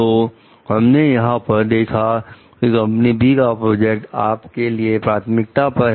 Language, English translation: Hindi, So, here what we find like company B project was priority to you